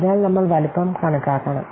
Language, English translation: Malayalam, First, we have to determine size of the product